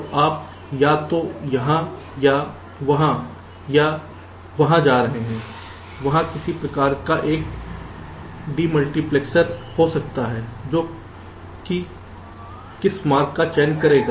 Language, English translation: Hindi, so your are going either here or there, or there there can be some kind of a demultiplexer which will be selecting which path to follow